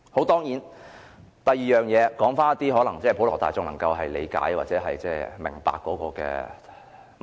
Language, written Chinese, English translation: Cantonese, 第二，說回普羅大眾能夠理解和明白的問題。, Secondly let us come back to an issue comprehensible to the general public